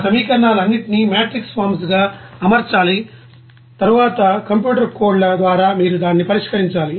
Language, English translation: Telugu, You have to arrange all those equations as a matrix forms and then you have to solve that you know by computer codes